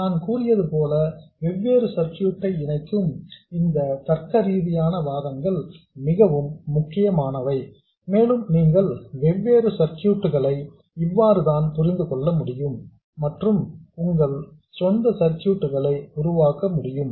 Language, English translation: Tamil, As I said, these logical arguments combining different circuits are extremely important and that's how you can understand different circuits and also come up with circuits on your own